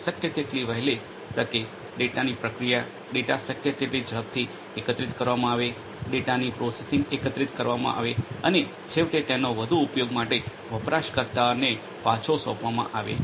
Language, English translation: Gujarati, And also correspondingly processing of the data as soon as possible the data are collected as quickly as possible the data are collected processing of the data and eventually feeding it back to the user for further use